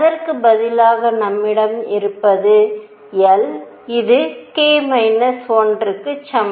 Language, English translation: Tamil, Instead what we have is l which is equal to k minus 1